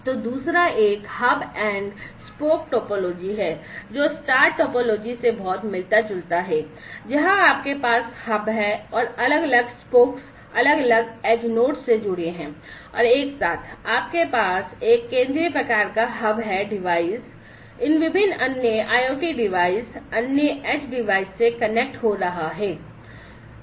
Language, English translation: Hindi, So, the other one is the hub and spoke topology, which is very similar to the, the star topology where you have the hub and there are different spoke, spoke are basically connected to the different other edge nodes and together, you know, you have a central kind of hub device connecting to these different other IoT devices, other edge devices and so on